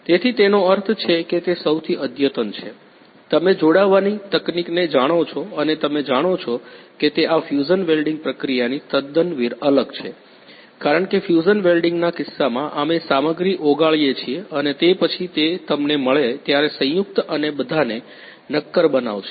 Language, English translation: Gujarati, So, it means it is the most advanced you know the joining technique and you know it is quite different from this the fusion welding process because in case of fusion welding we melt the material and then after that it gets you know the after solidification you gets the joint and all